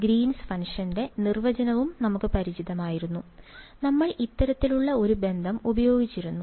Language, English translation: Malayalam, We were also familiar with the definition of the Green’s function; we had used this kind of a relation ok